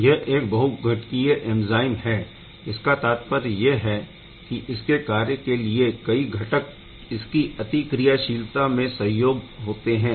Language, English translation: Hindi, These are multi component enzyme meaning that many different components are there for its complete reactivity